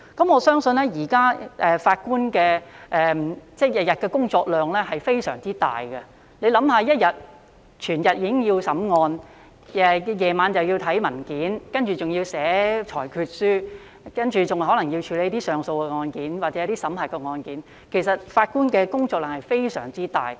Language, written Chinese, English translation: Cantonese, 我相信現時法官每天的工作量非常大，大家試想，日間要審理案件，晚上又要審閱文件，接着還要撰寫裁決書，更可能要處理上訴案件或審核案件，其實法官的工作量非常大。, I believe the workload of judges in these days is very heavy . Members should imagine that judges have to deal with cases during daytime and to go through a lot of papers at night . Besides they need to write judgments and may have to deal with appeal cases or to review cases